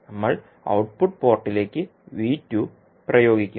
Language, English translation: Malayalam, And we will apply V2 to the output port